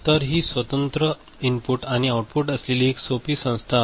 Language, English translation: Marathi, So, this is one a simple organization right with separate input and output